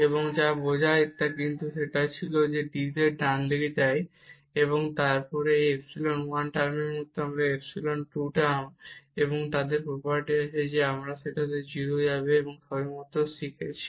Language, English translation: Bengali, And which implies, but this was the dz that goes to the right hand side, and then this is like epsilon 1 term, and this is epsilon 2 term, and they have the property that they will go to 0 again which we have just learned before